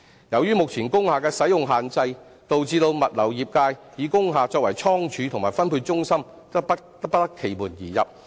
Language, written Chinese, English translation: Cantonese, 由於目前工廈的使用限制，導致物流業界以工廈作倉儲及分配中心則不得其門而入。, Owing to the restrictions in the usage of industrial buildings the logistics industry is unable to make use of industrial buildings as godowns and distribution centres